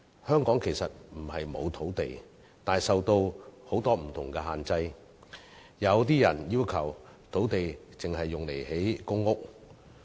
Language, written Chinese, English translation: Cantonese, 香港其實不是沒有土地，但土地運用受到很多不同的限制，有些人要求土地只用作興建公屋。, In fact Hong Kong is not without land but the usage of land is subject to many different restrictions and some people even request that our land should only be used for construction of public housing